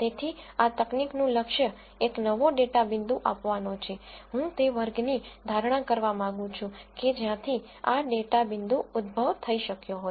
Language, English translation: Gujarati, So, the goal of this technique is, given a new data point, I would like to predict the class from which this data point could have originated